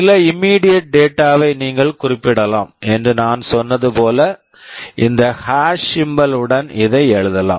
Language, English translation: Tamil, Like as I said you can specify some immediate data, I can write like this with this hash symbol